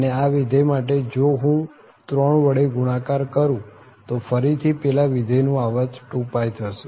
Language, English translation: Gujarati, And for this function if I multiply by 3 so again the 2 pie is also period of that function